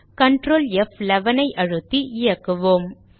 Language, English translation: Tamil, Let us run it with Ctrl, F11